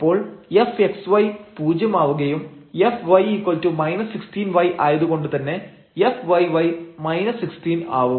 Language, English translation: Malayalam, So, fxy will be become 0 and this fy was minus 16 y, so, this f yy will become minus 16